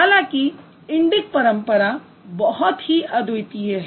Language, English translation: Hindi, However, the Indic tradition was very unique